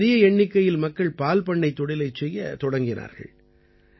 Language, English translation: Tamil, A large number of people started dairy farming here